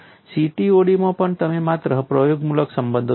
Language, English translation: Gujarati, Even in CTOD you would come across only empirical relations